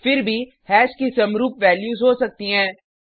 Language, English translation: Hindi, And these are the values of hash